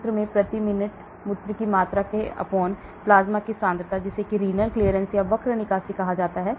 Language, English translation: Hindi, So concentration in urine into volume of urine per minute/plasma concentration, that is called renal clearance